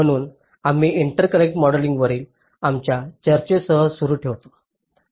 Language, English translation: Marathi, so we continue with our discussion on interconnect modeling